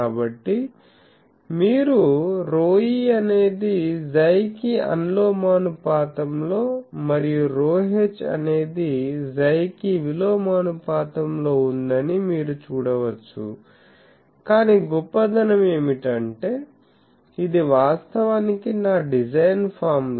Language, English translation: Telugu, So, you can say that, the you see rho e is proportional to Chi and rho h is inversely proportional to chi, but the best thing is this is actually my design formula